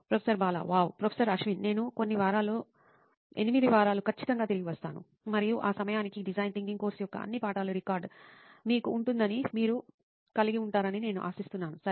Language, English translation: Telugu, Wow, I will be back shortly in a few weeks an 8 weeks to be precise and by that time, I expect that you will have all of the lessons of this design thinking course record, right